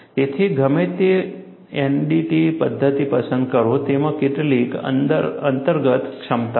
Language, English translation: Gujarati, So, whatever the NDT methodology that you select, it has certain inherent capabilities